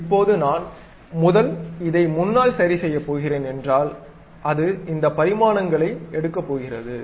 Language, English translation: Tamil, Now, if I am going to adjust at this first front it is going to take these dimensions